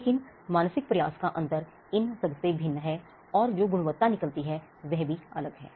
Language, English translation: Hindi, But the mental effort differs from all these is different and it differs, and the quality that comes out while also differ